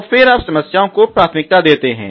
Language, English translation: Hindi, So, then you prioritise the problems